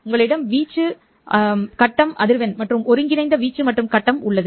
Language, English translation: Tamil, You have amplitude, phase frequency and combined amplitude and phase